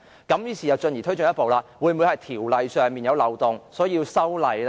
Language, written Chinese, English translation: Cantonese, 於是又推進一步，是否條例上存在漏洞而需要修例？, So by further inference are there loopholes in the law that warrant legislative amendments and so on and so forth?